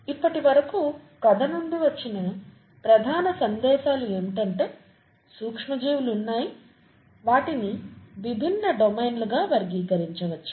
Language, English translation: Telugu, If you, the main messages from the story so far has been that there is there are microorganisms and they they can be categorised into various different domains